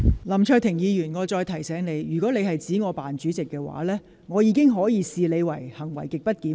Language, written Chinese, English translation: Cantonese, 林卓廷議員，我再提醒你，如果你指我"扮主席"，我會視之為行為極不檢點。, Mr LAM Cheuk - ting I would like to remind you again that if you refer to me as the phoney Chair I will regard such behaviour as grossly disorderly